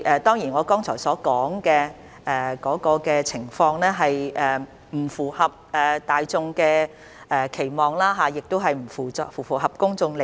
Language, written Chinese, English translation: Cantonese, 主席，我剛才提到的情況當然並不符合大眾的期望，亦不符合公眾利益。, President the situation that I have mentioned just now certainly does not live up to public expectation nor is it in the public interest